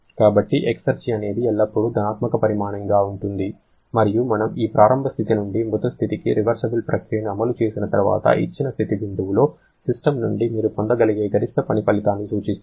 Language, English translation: Telugu, So, exergy is always a positive quantity and it refers to the maximum possible work output that you can get from a system at a given state point once we execute a reversible process from that initial state to a dead state